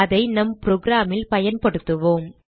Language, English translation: Tamil, Now Let us use it in our program